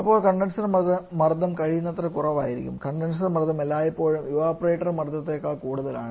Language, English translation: Malayalam, Then the condenser pressure should be as low as possible and just opposite to this condenser pressure is always higher than evaporator pressure